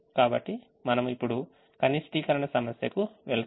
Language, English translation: Telugu, so we go to now we go to a minimization problem which we can solve